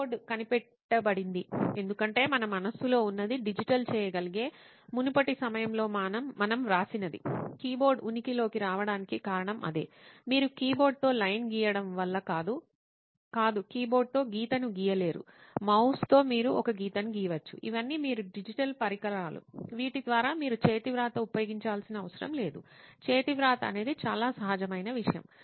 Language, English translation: Telugu, the keyboard was invented just because what we had in mind, whatever we had written down at an earlier point that could be digitised, that was the reason why keyboard came into existence, it was not because you could draw line with the keyboard, no you cannot draw line with the keyboard, it is with the mouse that you can draw a line, these are all digital devices through which you have you do not have to use handwriting, handwriting is the most natural thing that can happen